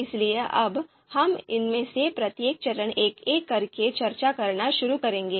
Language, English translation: Hindi, So now, we will start discussing each of these steps one by one